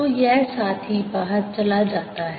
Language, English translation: Hindi, so this fellow goes out